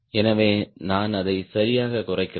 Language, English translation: Tamil, so i am reducing it right